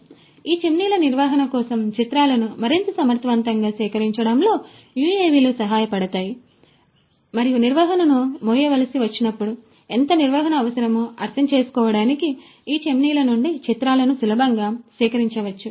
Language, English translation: Telugu, So, UAVs could help in collecting images for maintenance of these chimneys in a much more efficient manner and much more easily the maintenance the images could be collected of these chimneys to understand how much maintenance what would be required, when the maintenance has to be carried on and so on